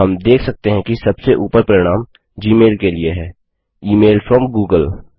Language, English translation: Hindi, We see that the top result is for gmail, the email from google